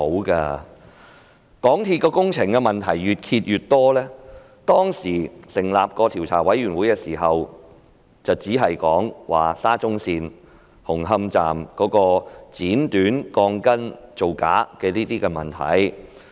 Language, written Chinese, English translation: Cantonese, 港鐵公司的工程問題越揭越多，當時成立調查委員會時，調查範圍只涵蓋沙中線紅磡站鋼筋被剪短造假的問題。, More and more problems with the construction works of MTRCL have been exposed . At the establishment of the Commission the scope of investigation covered only the fraudulent practice of cutting the reinforcement steel bars at the Hung Hong Station of SCL